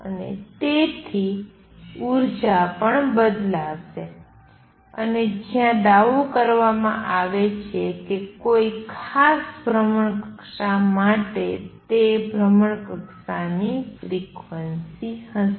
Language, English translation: Gujarati, And therefore, the energy is also going to change and what is claimed is that for a particular orbit is going to be the frequency of that orbit classical